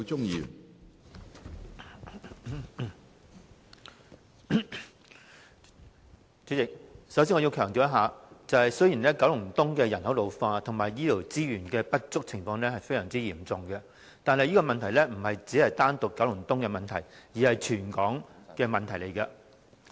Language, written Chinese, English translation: Cantonese, 主席，我首先要強調一點，雖然九龍東的人口老化及醫療資源不足的情況非常嚴重，但這不單是九龍東的問題，而是全港的問題。, First of all President I have to emphasize one point . Although the situation of population ageing and the lack of healthcare resources in Kowloon East is quite serious this is a problem not unique to Kowloon East . Rather it is a problem of the whole territory